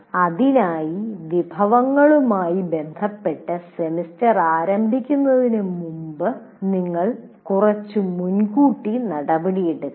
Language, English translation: Malayalam, So you have to take a little advance action before the semester starts with regard to the resources